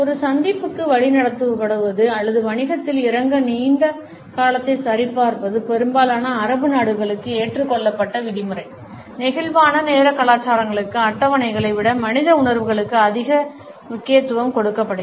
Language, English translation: Tamil, Being led to an appointment or checking a long term to get down to business is the accepted norm for most Arabic countries; for flexible time cultures schedules are less important than human feelings